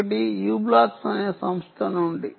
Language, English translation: Telugu, one is from a company called u blocks